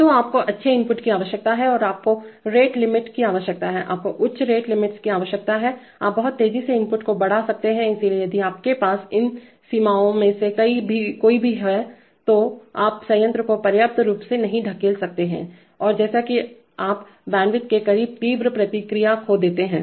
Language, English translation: Hindi, So you need good input and you need rate limits, you need high rate limits that is, you can jack up the input very fast, so if you have any of these limits then you cannot push the plant hard enough and you lose intransient response as or close to bandwidth